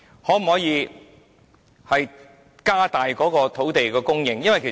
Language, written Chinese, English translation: Cantonese, 可否增加土地供應？, Can land supply be increased?